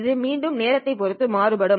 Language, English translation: Tamil, Again, this is something that is varying with respect to time